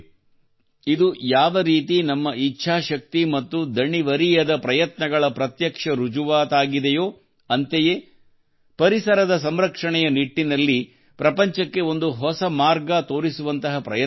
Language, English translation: Kannada, Whereas this evidence is direct proof of our willpower and tireless efforts, on the other hand, it is also going to show a new path to the world in the direction of environmental protection